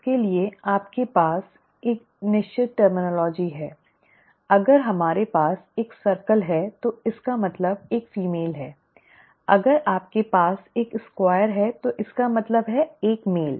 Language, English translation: Hindi, For that you have a certain terminology, if we have a circle it means a female, if you have a square it means a male